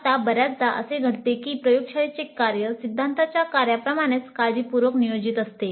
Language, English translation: Marathi, Now often it happens that the laboratory work is not planned as carefully as the theory work